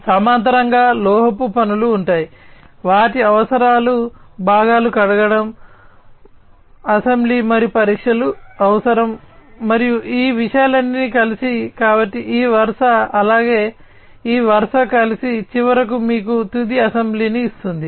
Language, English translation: Telugu, In parallel, there would be metal works, their needs to be parts washing, there needs to be assembly and test, and after all of these things together, so this row, as well as this row together, finally will give you the final assembly final assembly